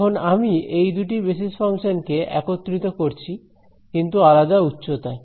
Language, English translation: Bengali, Now, I am combining these two basis functions, but with a different height